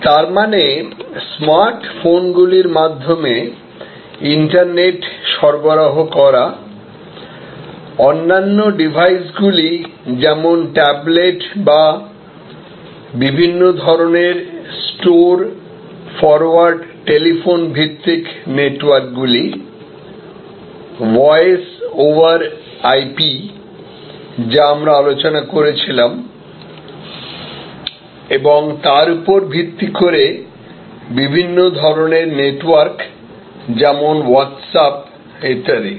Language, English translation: Bengali, That means internet delivered over smart phones, other devices like tablets or different kind of store forward telephone based networks, voice over IP, which we were discussing and based on that, different types of networks like Whatsapp, etc